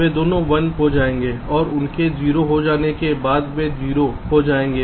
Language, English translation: Hindi, initially both are one one, so it will be zero, and after that both are zero